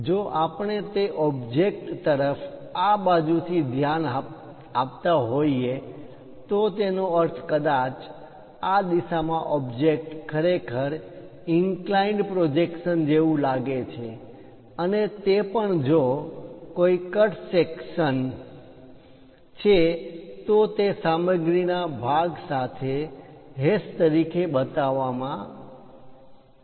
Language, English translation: Gujarati, From side, if we are looking at that object, that means, perhaps in this direction, how the object really looks like inclined projections and also if there are any cut sections by showing it like a hash with material portion